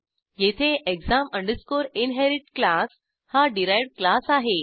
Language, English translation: Marathi, And here class exam inherit is the derived class